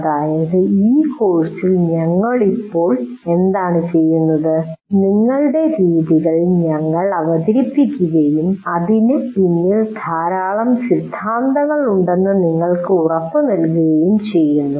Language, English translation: Malayalam, Actually what we are doing right now in this course, that is we are giving you, we are presenting to you a certain methods of doing saying that assuring you there is a lot of theory behind it